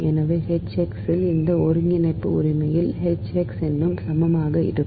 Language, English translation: Tamil, so into h x, this integral actually is equal to in